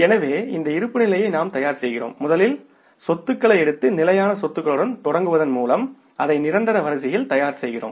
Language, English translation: Tamil, So, we are preparing this balance sheet by taking the assets first and starting with the fixed assets because we are preparing it in the order of permanence